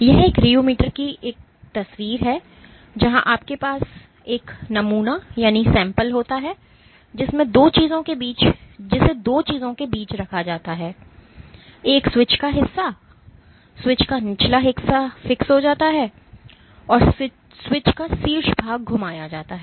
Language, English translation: Hindi, This is a picture of a rheometer where you have a sample which is placed between two things one portion of switch the bottom portion of switch is fixed and the top portion of switch is rotated